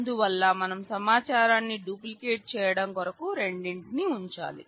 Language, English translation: Telugu, So, we need to keep both duplicating the information